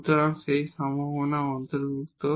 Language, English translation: Bengali, So, that possibility is also included